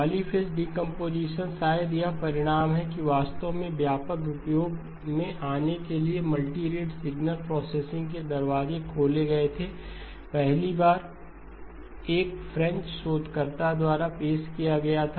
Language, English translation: Hindi, Polyphase decomposition : probably the result that really opened the doors for multi rate signal processing to come into widespread use was first introduced by a French researcher